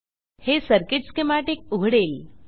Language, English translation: Marathi, This will open the circuit schematic